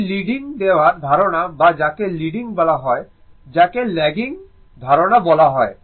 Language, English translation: Bengali, This is the concept of leading or your what you call leading or your what you call lagging concept, right